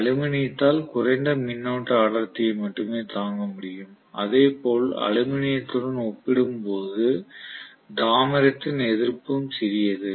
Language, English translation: Tamil, Aluminum will be able to withstand a lower current density only and similarly the resistivity of copper is smaller as compare to aluminum